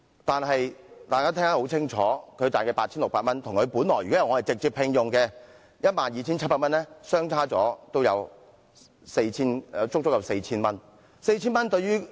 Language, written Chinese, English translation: Cantonese, 但是，她每月得到的 8,600 元與她在直接聘用制度下所賺得的 12,700 元相比，足足少了 4,000 元。, However her monthly pay of 8,600 is exactly 4,000 less than the monthly salary of 12,700 under the system of direct employment of staff